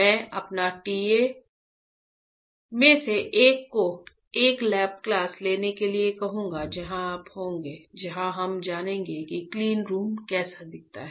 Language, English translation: Hindi, I will ask one of my TA to take a lab class where you will be, where we will know how the cleanroom looks like